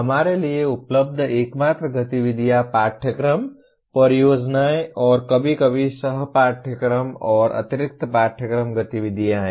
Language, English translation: Hindi, The only activities that are available to us are courses, projects, and sometimes co curricular and extra curricular activities